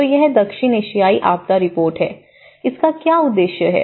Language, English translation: Hindi, So, this report the South Asian Disaster Report, what does it aim